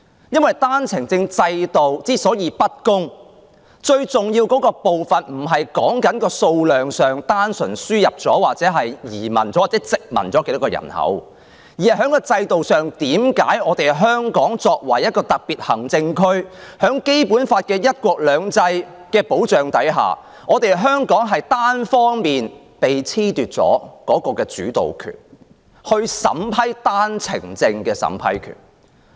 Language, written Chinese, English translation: Cantonese, 因為單程證制度的不公平，最重要的部分不是在數量上，即輸入了多少人口或有多少人移居香港，而是在制度上，為何香港作為一個特別行政區，在《基本法》的"一國兩制"原則保障下，單方面被褫奪了主導權及單程證的審批權。, It is because the unfairness of the OWP system does not mainly lie in the quantity or the imported population or the number of people settled in Hong Kong but in the system under which Hong Kong being a Special Administrative Region SAR and under the protection of the principle of one country two systems as prescribed in the Basic Law is unilaterally deprived of the initiative and the power of vetting and approving OWP applications